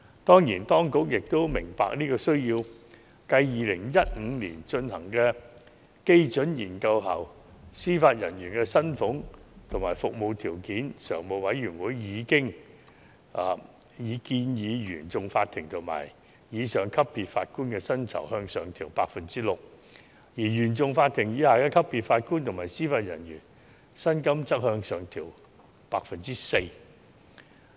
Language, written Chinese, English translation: Cantonese, 當然，當局也明白有這個需要，繼2015年進行基準研究後，司法人員薪常會已建議，原訟法庭及以上級別法官的薪酬向上調整 6%， 而原訟法庭以下級別的法官及司法人員薪金則向上調整 4%。, The Administration certainly understands that there is such a need . Following the Benchmark Study conducted in 2015 the Judicial Committee recommended an upward pay adjustment of 6 % for Judges at the CFI level and above and an upward adjustment of 4 % for JJOs below the CFI level